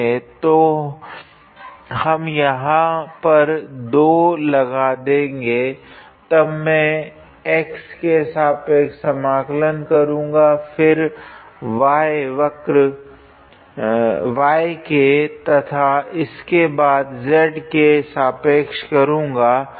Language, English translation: Hindi, So, we I put a 2 here, then I integrated with respect to x, then integrate it with respect to y and then integrate it with respect to z